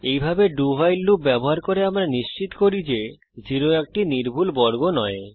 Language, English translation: Bengali, This way, by using a do while loop, we make sure that 0 is not considered as a perfect square